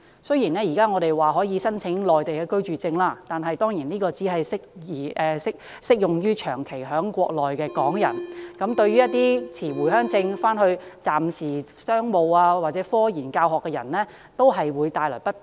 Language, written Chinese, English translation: Cantonese, 雖然香港居民現時可以申請內地居住證，但有關文件只適用於長期在內地的港人，一些持回鄉證往返內地的商務、科研或教學人員等都會感到不便。, Even though Hong Kong residents can now apply for the residence permits in the Mainland the permits are only applicable to those people who spend most of their time in the Mainland . Some business scientific research and teaching personnel holding Home Visit Permits still find it inconvenient to travel between Hong Kong and the Mainland